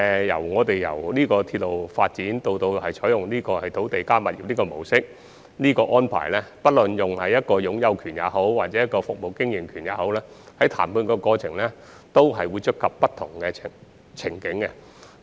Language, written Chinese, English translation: Cantonese, 由鐵路發展以至採用"鐵路加物業"的模式，不論是涉及擁有權或服務經營權模式，在談判過程中均會觸及不同情景。, From railway development to the adoption of the RP approach and regardless of whether the ownership or concession approach is adopted different scenarios will be touched on in the negotiation process